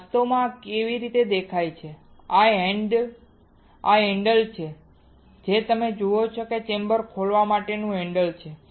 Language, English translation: Gujarati, So, this is how it actually looks like this is the handle you see this one is the handle to open the chamber alright